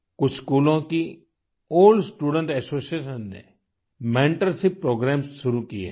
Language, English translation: Hindi, The old student associations of certain schools have started mentorship programmes